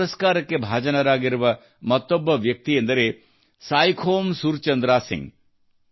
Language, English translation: Kannada, There is another award winner Saikhom Surchandra Singh